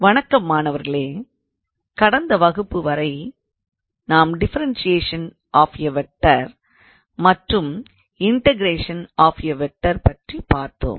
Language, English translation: Tamil, Hello students, so up until last class we looked into differentiation of a vector and also integration of a vector